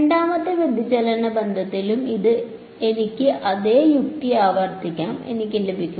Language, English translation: Malayalam, And I can repeat the same logic with the second divergence relation and I will get